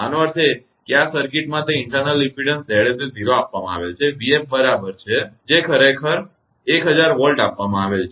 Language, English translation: Gujarati, That means, in this circuit that internal impedance Z s is given 0 that is small v f is equal to capital v f that is actually given 1000 Volt right